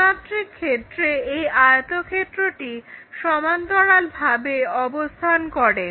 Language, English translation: Bengali, This is the one, at 3D this rectangle is parallel